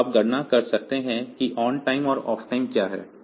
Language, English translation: Hindi, So, you can calculate what is the ontime and offtime